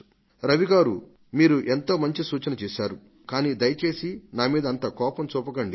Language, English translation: Telugu, Raviji you have given a good suggestion, but please don't get angry with me